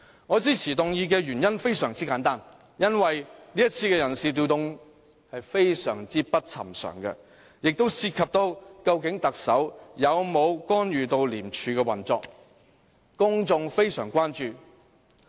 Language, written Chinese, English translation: Cantonese, 我支持議案的原因非常簡單，因為這次人事調動非常不尋常，也涉及究竟特首有否干預廉署的運作，公眾非常關注。, I support this motion for the simple reason that the staff change we see this time is highly unusual . The incident is also a great concern of the public as it relates to whether the Chief Executive has intervened in the operation of ICAC